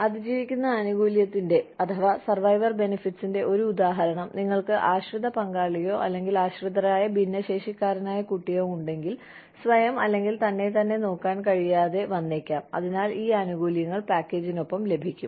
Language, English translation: Malayalam, One example of a survivor benefit, that if you have a dependent spouse, or a dependent differently abled child, who may not be able to look after himself, or herself, then these benefits come with the package